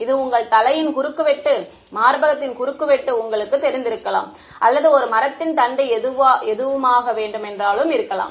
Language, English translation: Tamil, This could be you know cross section of your head, cross section of breast or could be a tree trunk could be anything